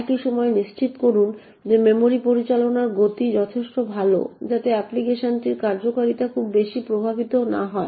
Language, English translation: Bengali, At the same time ensure that the speed of memory management is good enough so that the performance of the application is not affected too much